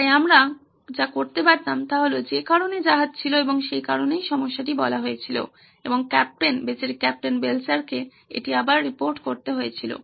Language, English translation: Bengali, So we could have done that is why the ships were and that is why the problem was pronounced and captain, poor captain Belcher had to report it back